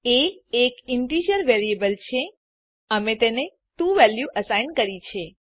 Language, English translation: Gujarati, a is an integer variable We have assigned a value of 2 to it